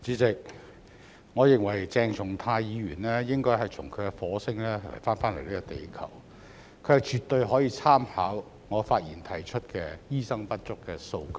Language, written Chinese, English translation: Cantonese, 代理主席，我認為鄭松泰議員應該從他的火星返回地球，他絕對可以參考我發言提出的醫生不足的數據。, Deputy President I think that Dr CHENG Chung - tai should return from his Mars to Earth . He can certainly refer to the figures in my speech on the lack of doctors